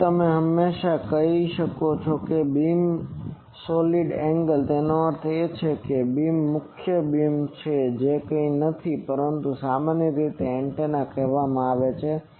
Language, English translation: Gujarati, Now, you can always say that the beam solid angle, that means the beams main beam that is nothing but that is generally called antennas